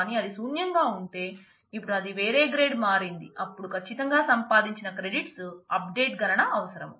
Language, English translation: Telugu, But if it is if it was f or it was null, and now it has become a different grade then certainly the computation to update the credits earned is required